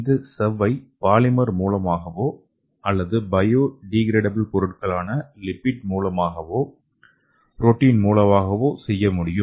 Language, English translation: Tamil, So this membrane could be made up of polymeric or it could be made up of biodegradable membrane, lipid and protein based membranes okay